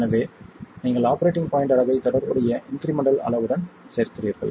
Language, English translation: Tamil, You add the operating point quantities to incremental quantities